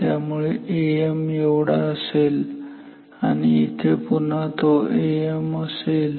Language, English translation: Marathi, So, A m is this much and here again this will be A m